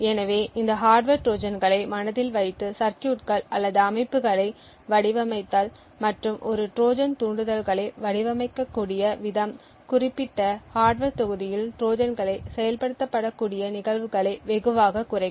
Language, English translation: Tamil, So, designing circuits or systems keeping in mind these hardware Trojans and the way a Trojans triggers can be designed could drastically reduce the cases where Trojans can be activated in particular hardware module